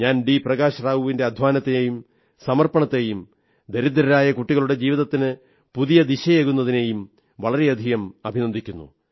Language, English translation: Malayalam, Prakash Rao for his hard work, his persistence and for providing a new direction to the lives of those poor children attending his school